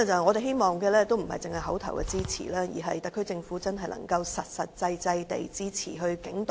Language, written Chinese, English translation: Cantonese, 我們希望不單是口頭支持，而是特區政府真的能夠實際支持警隊。, We hope that apart from the verbal support the SAR Government can also give practical support to the police force